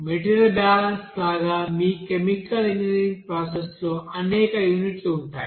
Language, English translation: Telugu, Like material balance, there are several units will be there in your chemical engineering process